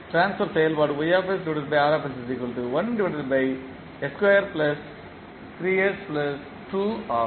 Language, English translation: Tamil, Now, what is the transfer function